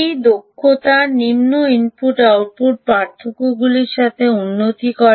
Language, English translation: Bengali, efficiency improves with lower input output differentials